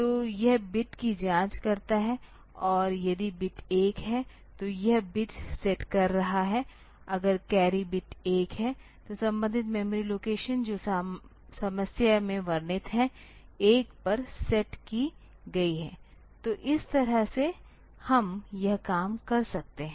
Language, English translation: Hindi, So, this checking the bit and if the bit is 1, then it is setting the bit; if the carry bit is 1, then the corresponding memory location that is mentioned in the problem that is set to 1; so, this way we can do this thing